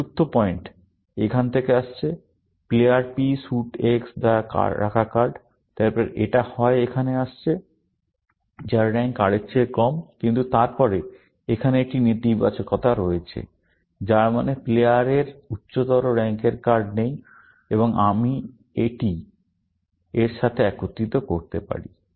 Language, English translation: Bengali, The fourth pattern is coming from here; card held by player P suit X, then it is coming here, whose rank is less than R, but then, there is a negation here, which means the player does not have a card of higher rank, and this I can combine with this